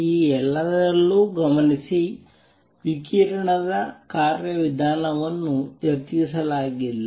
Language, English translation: Kannada, Notice in all this the mechanism for radiation has not been discussed